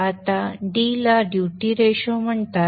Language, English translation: Marathi, Now D is called the duty ratio